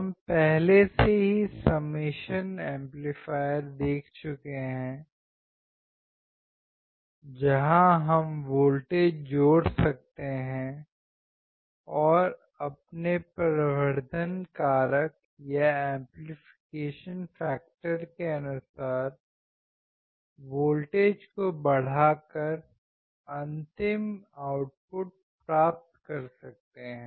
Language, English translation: Hindi, We have already seen the summation amplifier, where we can add the voltages and then we can amplify according to our amplification factor to get the final output